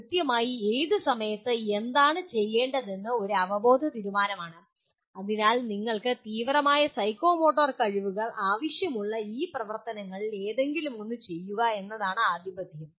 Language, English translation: Malayalam, There is exactly what to do at what time is a cognitive decision but the dominance is to perform any of these activities you require extreme psychomotor skills